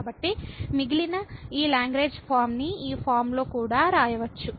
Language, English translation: Telugu, So, we can we write this Lagrange form of the remainder in this form as well